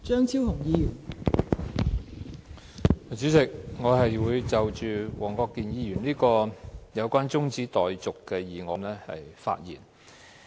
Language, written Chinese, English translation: Cantonese, 代理主席，我會就黃國健議員動議的中止待續議案發言。, Deputy President I would like to speak on the adjournment motion moved by Mr WONG Kwok - kin